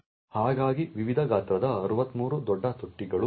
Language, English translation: Kannada, So there are also 63 large bins of various sizes